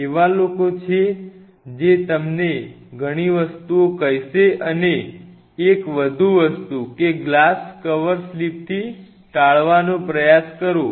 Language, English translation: Gujarati, There are people who will tell you several things and one more thing try to avoid with glass cover slips